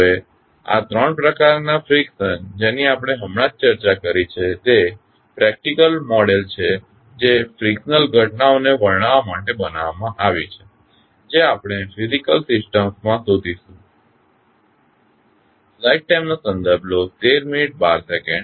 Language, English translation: Gujarati, Now, these three types of frictions which we have just discussed are considered to be the practical model that has been devised to describe the frictional phenomena which we find in the physical systems